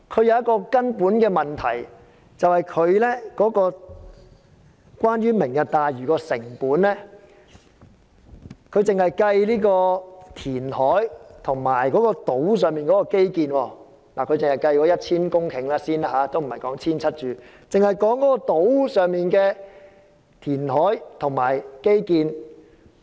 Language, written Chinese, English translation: Cantonese, 有一個根本的問題是，關於"明日大嶼"的成本，他只計算填海和島上基建，並只計算 1,000 公頃而非 1,700 公頃的填海和基建成本。, There is a fundamental problem . Regarding the cost of Lantau Tomorrow he only calculated the reclamation cost and the infrastructure construction cost involving 1 000 hectares instead of 1 700 hectares of land